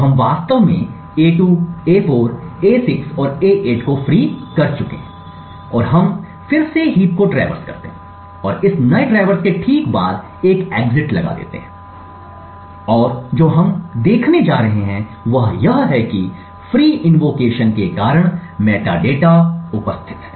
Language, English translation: Hindi, So we in fact we have freed a2, a4, a6 and a8 and we then traverse the heap again and put the exit just after this new traverse and what we are going to see is the metadata present in the heap changed due to the free invocations that are done